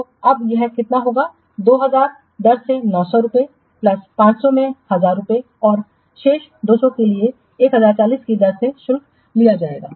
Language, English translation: Hindi, 2,000 into rate is 900 plus 500 into 1,000 plus remaining 200 will be charged at the rate of 1